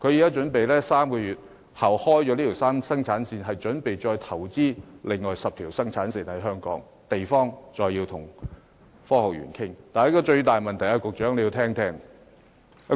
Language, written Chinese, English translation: Cantonese, 該公司於3個月後開啟生產線後，準備在香港再投資另外10條生產線，用地則要再跟大埔科學園商討。, The enterprise prepares to invest in another 10 production lines in Hong Kong after the first three production lines come into operation three months later . Yet the land issue problem will have to be negotiated further with the Tai Po Industrial Park